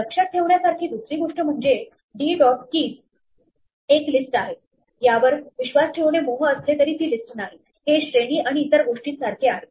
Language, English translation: Marathi, The other thing to keep in mind is that though it is tempting to believe that d dot keys is a list, it is not a list; it is like range and other things